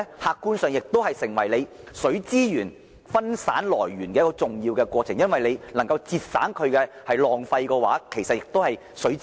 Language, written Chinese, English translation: Cantonese, 客觀上而言，改善漏水情況亦是善用水資源的一個重要過程，因為若能減少浪費的話，就等於節省水資源。, Objectively the reduction in water leakage is also an important process in making good use of water resources . If we can reduce wastage of water we can save more of it